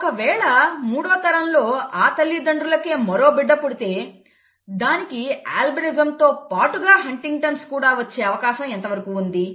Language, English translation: Telugu, If another child of the third generation is born to the same parents, what is the probability of that child being an albino with HuntingtonÕs